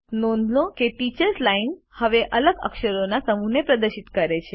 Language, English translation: Gujarati, Notice, that the Teachers Line now displays a different set of characters